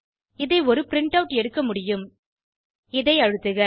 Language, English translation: Tamil, If you close this, I can take a printout ,press this